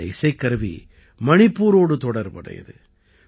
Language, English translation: Tamil, This instrument has connections with Manipur